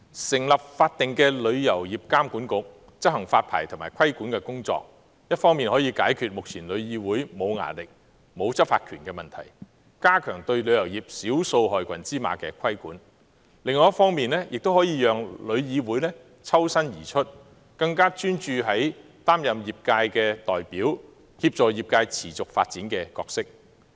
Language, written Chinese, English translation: Cantonese, 成立法定的旅監局執行發牌及規管的工作，一方面可以解決目前旅議會沒有"牙力"、沒有執法權的問題，加強對旅遊業少數害群之馬的規管；另一方面，可以讓旅議會抽身而出，更專注於擔任業界代表及協助業界持續發展的角色。, The establishment of TIA as a statutory body to discharge licensing and regulatory duties can serve two purposes . On the one hand the current problem that TIC has no deterrent and law enforcement powers can be resolved and regulation on a handful of bad apples in the tourism industry can be enhanced; and on the other hand by freeing TIC from its regulatory duties it can focus on performing its roles in representing the industry and assisting the industry in its sustainable development